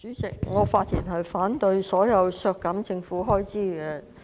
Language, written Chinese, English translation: Cantonese, 主席，我反對所有削減政府開支的修正案。, Chairman I oppose all amendments to reduce government expenditures